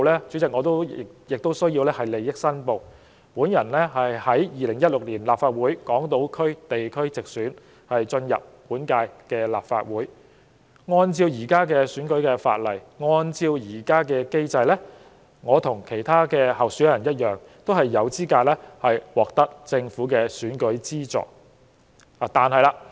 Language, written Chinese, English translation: Cantonese, 主席，我在此要作利益申報，我經由2016年立法會港島區地區直選晉身本屆立法會，按照現行選舉法例和機制，我與其他候選人均有資格獲得政府的選舉資助。, President I hereby declare my interest as a Member returned by the geographical constituency of Hong Kong Island through direct election in the 2016 Legislative Council Election . According to the existing electoral legislation and mechanism I along with other candidates of the constituency are eligible for the financial assistance from the Government